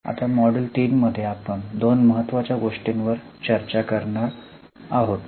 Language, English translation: Marathi, Now in our module 3 we are going to discuss two important things